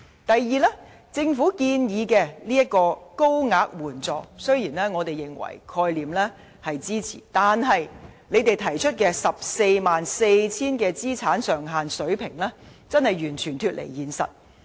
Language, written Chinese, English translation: Cantonese, 第二，政府建議增加一層高額援助，雖然我們支持這個概念，但政府提出的 144,000 元資產上限水平真的完全脫離現實。, Second though we support the Governments proposal to add a higher tier of assistance for the elderly we believe that it has totally lost touch with the reality by setting the asset limit at 144,000